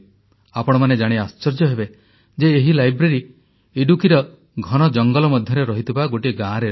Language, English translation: Odia, You will be surprised to learn that this library lies in a village nestling within the dense forests of Idukki